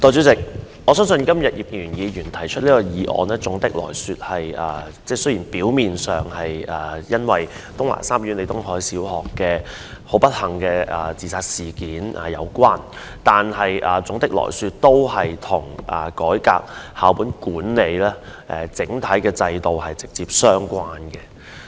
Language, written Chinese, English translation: Cantonese, 代理主席，我相信今天葉建源議員動議這項議案，雖然表面上與東華三院李東海小學老師的不幸自殺事件有關，但總體而言，都是跟校本管理制度改革直接相關。, Deputy President although the motion moved by Mr IP Kin - yuen today appears to be related to the suicide of the teacher of Tung Wah Group of Hospitals Leo Tung - hai LEE Primary School on the whole it is directly related to the reform of the school - based management system